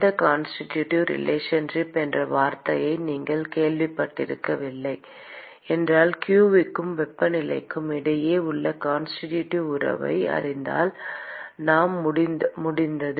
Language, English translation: Tamil, if you have not heard this word called constitutive relationship if we know the constitutive relationship between q and temperature, we are done